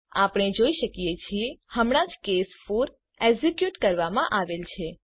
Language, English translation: Gujarati, As we can see, now only case 4 is executed